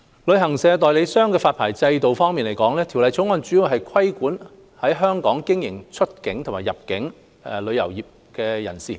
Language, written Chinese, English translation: Cantonese, 旅行代理商的發牌制度方面，《條例草案》主要規管在香港經營出境及入境旅遊業務活動的人士。, Regarding the licensing regime of travel agents the Bill mainly regulates travel agents that carry on outbound or inbound travel business activities in Hong Kong